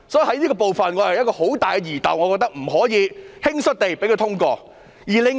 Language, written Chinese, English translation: Cantonese, 我對這部分有很大的疑竇，所以不能輕率地通過決議案。, I have grave doubts about this part so the resolution should not be passed hastily